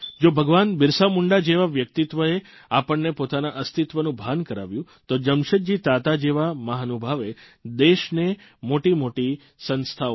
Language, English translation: Gujarati, If the valourousBhagwanBirsaMunda made us aware of our existence & identity, farsightedJamsetji Tata created great institutions for the country